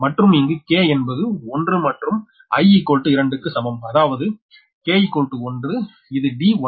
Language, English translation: Tamil, that means k is equal to one, it is d one m